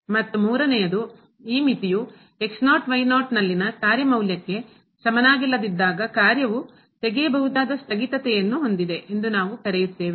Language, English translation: Kannada, And the third one when this limit is not equal to the function value at naught naught, then we call that the function has removable discontinuity